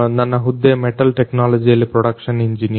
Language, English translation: Kannada, My designation is production engineer in metal technology